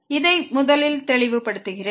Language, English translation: Tamil, Let me clear this first